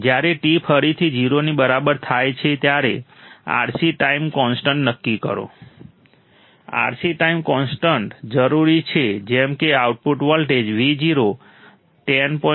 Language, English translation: Gujarati, At time t equals to 0 again, determine the R C time constant, R C time constant necessary such that output voltage Vo reaches to 10